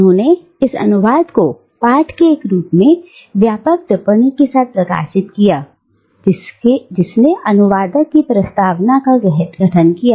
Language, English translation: Hindi, And she published this translation along with an extensive commentary on the text, which formed the Translator's Preface